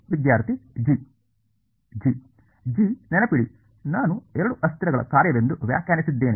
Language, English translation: Kannada, g; g remember I have defined as a function of two variables right